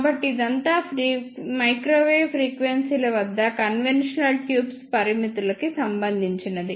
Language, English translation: Telugu, So, this is all about the limitations of conventional tubes at microwave frequencies